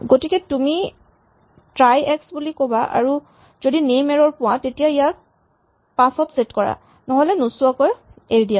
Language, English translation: Assamese, So, you can say try x and if you happened to find a name error set it to 5 otherwise leave it untouched